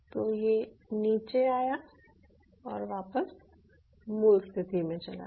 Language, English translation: Hindi, so it came down and it comes back to its ground, original position